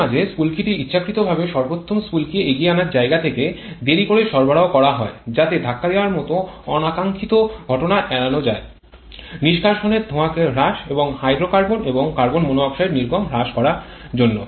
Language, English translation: Bengali, Occasionally spark is intentionally retarded by providing at the optimal spark advance in order to avoid a knocking kind of undesirable phenomenon to reduce the exhaust smoke and also to reduce the emission of hydrocarbons and carbon monoxide